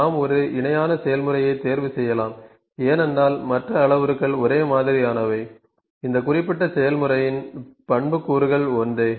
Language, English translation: Tamil, We can pick one parallel process because other parameters are same the attributes of this specific process is same